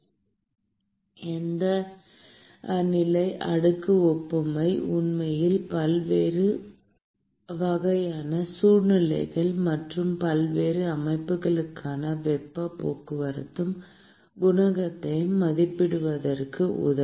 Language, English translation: Tamil, And this boundary layer analogy will actually help in estimating the heat transport coefficient for various kinds of situations and various systems that we are going to consider in the convection topic